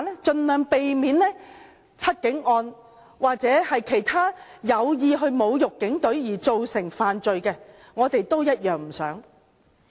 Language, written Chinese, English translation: Cantonese, 盡量避免"七警案"重演，至於其他有意侮辱警隊而造成犯罪，我們也同樣不想發生。, Recurrence of The Seven Cops case should be pre - empted by all means . We also do not want other crimes caused by deliberate provocation of the police to happen